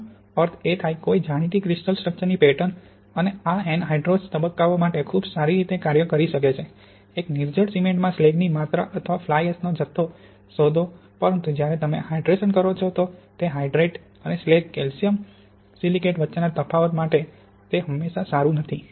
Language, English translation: Gujarati, This means pattern of no known crystal structure and this can work quite well for anhydrous phases to discover the amount of slag in an anhydrous cement, or the amount of fly ash but when you have hydration it is not always good for differentiating for example between calcium silicate hydrate and slag